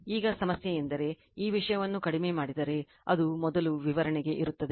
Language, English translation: Kannada, Now, question is that just if, you reduce the this thing it will be first for your explanation